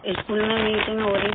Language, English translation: Hindi, There was a meeting in the school